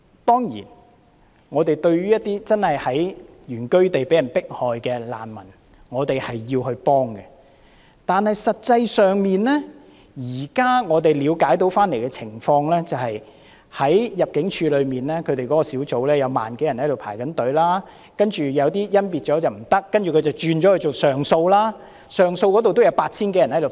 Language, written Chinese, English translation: Cantonese, 當然，對於一些真的在原居地被人迫害的難民，我們需要提供協助，但實際上，據我們現在了解的情況，就是在入境事務處內的小組有1萬多人輪候，然後有些經甄別後不符合資格，這些人於是提出上訴，上訴那邊也有 8,000 多人輪候。, Certainly for those who are really subjected to persecution in their original places of residence we need to provide them with assistance . However as far as we understand in actuality there are some 10 000 people waiting for screening by a team of the Immigration Department ImmD and some of those who fail to meet the requirements upon screening lodge appeals . There are some 8 000 people whose appeals are pending handling